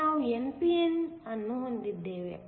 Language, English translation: Kannada, Now we have an n p n